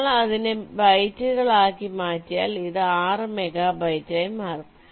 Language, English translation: Malayalam, if you convert it to bytes, this becomes six megabytes